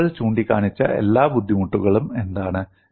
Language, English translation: Malayalam, What are all the difficulties people have pointed out